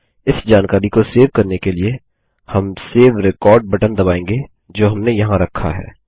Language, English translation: Hindi, To save this information, we will press the Save Record button that we put there